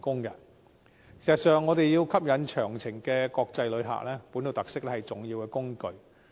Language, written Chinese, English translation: Cantonese, 要吸引長程國際旅客，本土特色是重要的工具。, To attract long - haul international visitors local characteristics are vital